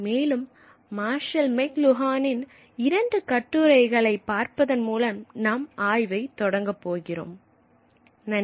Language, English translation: Tamil, And we are going to begin our study by looking at two couple of faces by Marshall McLuhan